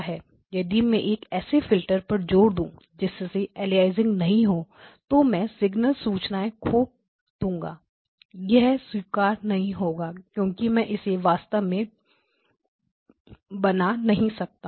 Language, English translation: Hindi, So if I insist that my filters be such that there is no aliasing then I will be I will lose signal in a signal information is lost now this is not acceptable because I cannot really construct